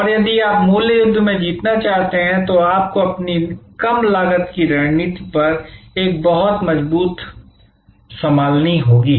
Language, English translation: Hindi, And if you want to win in the price war, you have to have a very strong handle on your low costs strategy